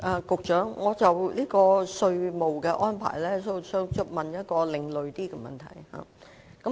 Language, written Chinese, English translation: Cantonese, 局長，就稅務安排，我想問一個較為另類的問題。, Secretary regarding the taxation arrangements I would like to ask a slightly different question